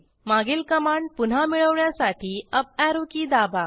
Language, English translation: Marathi, Now press the Up Arrow key to get the previous command